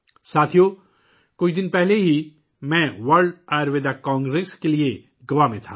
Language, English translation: Urdu, Friends, a few days ago I was in Goa for the World Ayurveda Congress